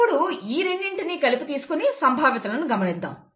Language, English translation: Telugu, Now let us look at both of them together, okay, and use probabilities here